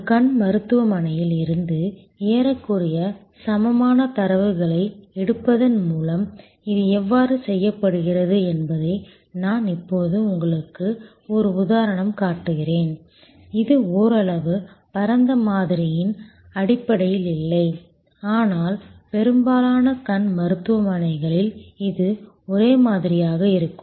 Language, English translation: Tamil, I will now show you an example that how this is done by taking almost equivalent data from an eye clinic, it is somewhat it is not based on very wide sampling, but in most eye clinics it will be same